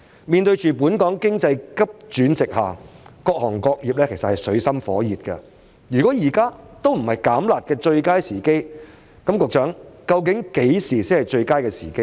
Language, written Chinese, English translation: Cantonese, 面對本港經濟急轉直下，各行各業也在水深火熱之中，如果現在都不是"減辣"的最佳時機，局長，那麼何時才是最佳時機呢？, All sectors are in dire straits under this sharp economic downturn in Hong Kong . If this moment were not the opportune time to withdraw the harsh measures when would it be Secretary?